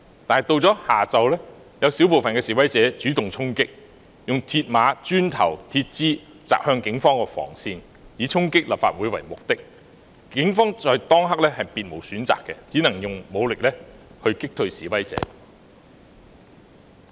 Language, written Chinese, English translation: Cantonese, 可是，到了下午，有少部分示威者主動衝擊，用鐵馬、磚頭及鐵枝擲向警方防線，以衝擊立法會為目的，警方在當刻也別無選擇，只能用武力擊退示威者。, The protesters did not do anything radical . In the afternoon however a small number of protesters took the initiative to charge forward hurling mills barriers bricks and metal bars at the police cordon lines with the purpose of storming the Legislative Council Complex . At that juncture the Police had no alternative but to drive away the protesters with force